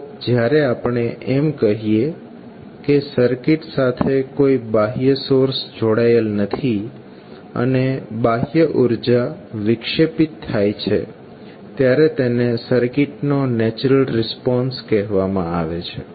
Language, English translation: Gujarati, So, when we say that there is no external source connected to the circuit, and the eternal energy is dissipated the response of the circuit is called natural response of the circuit